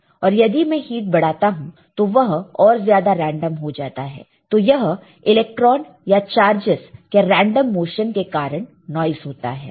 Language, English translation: Hindi, And if I apply more heat then it becomes even more random, so this random motion of the electron or the charges or cause would cause a noise ok